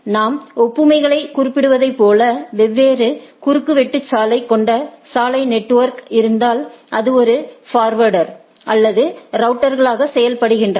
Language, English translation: Tamil, As we are referring to the analogy, like if I have a road network with different crossings, which acts as a forwarder or routers